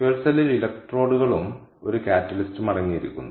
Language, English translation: Malayalam, so fuel cell consists of electrodes and a catalyst